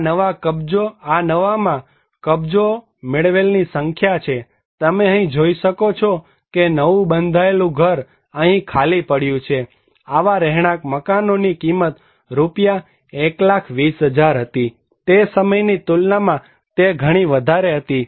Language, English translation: Gujarati, This is the number of occupancy in the new, you can see these new constructed house is lying empty, the cost of dwelling units was 1 lakh 20,000 Indian rupees according to that time comparatively much higher